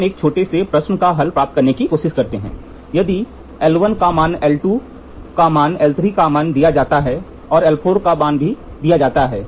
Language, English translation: Hindi, We can try a small problem if the value of l 1 is given l 2 is given l 3 is given and l 4 is given